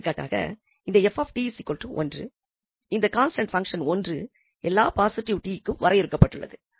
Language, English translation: Tamil, So here, in this example, we want to evaluate for instance this f t is equal to 1, the constant function 1 which is defined for all t positive